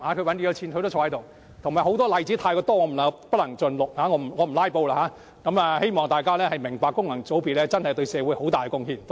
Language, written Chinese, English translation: Cantonese, 還有太多例子，恕我不能盡錄，因為我不想"拉布"，希望大家明白功能界別議員對社會真的有很大貢獻。, There are too many examples that I cannot possibly list them all lest I will help the filibuster . I simply hope the public can appreciate the enormous social contributions made by Members from functional constituencies